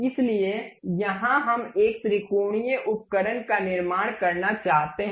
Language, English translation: Hindi, So, here we want to construct a triangular tool